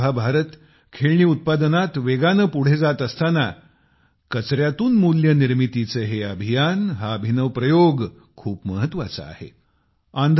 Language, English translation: Marathi, Today, while India is moving much forward in the manufacturing of toys, these campaigns from Waste to Value, these ingenious experiments mean a lot